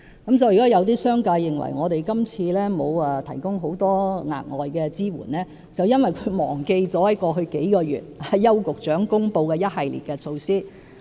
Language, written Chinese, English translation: Cantonese, 因此，如果有商界人士認為我們今次並無提供很多額外支援，那是因為他們忘了過去數月來邱局長公布的一系列措施。, Hence if members of the business community consider that we have failed to provide much additional support on this occasion it is because they have forgotten the series of measures announced by Secretary Edward YAU over the past few months